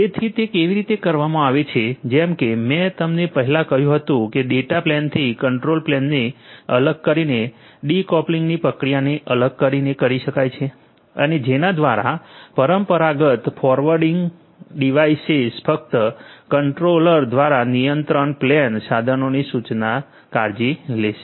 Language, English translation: Gujarati, So, how it is done as I told you earlier it can be done by separating out the control plane from the data plane a process of decoupling that will have to happen and by which the traditional forwarding devices will only take care of what they are instructed to do by the controller the control plane equipment